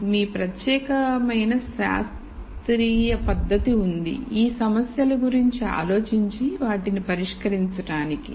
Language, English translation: Telugu, You have your unique scientific method for thinking about these problems and solving these problems